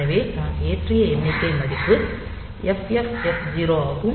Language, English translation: Tamil, So, this pair I am loading as FF FC